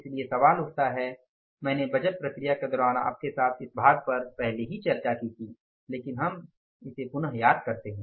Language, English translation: Hindi, Now question arises, I have already discussed this part with you during the budgeting process but again let's recall it when to investigate the variances